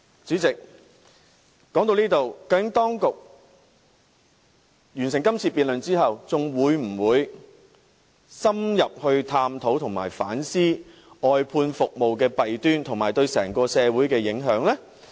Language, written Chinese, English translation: Cantonese, 主席，說到這裏，究竟在這次辯論結束後，當局會否深入探討和反思外判服務的弊端，以及對整個社會的影響呢？, Otherwise it is tantamount to shirking its responsibility . Up to this point President after this debate is over will the authorities indeed examine in depth and reflect on the demerits of outsourcing as well as its impact on the whole society?